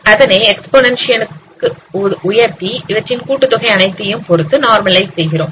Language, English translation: Tamil, You raise it to the exponentiation and some of normalize it by the sum of all these exponentations